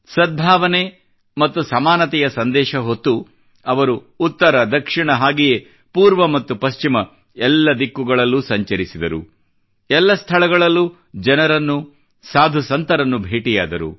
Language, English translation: Kannada, Carrying the message of harmony and equality, he travelled north, south, east and west, meeting people, saints and sages